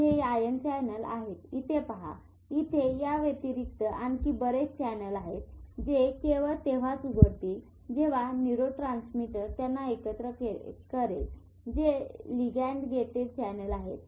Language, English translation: Marathi, So, these are ion channels, this one if you see this and there are channels which will open up only when a neurotransmitter combines to them which are ligand gated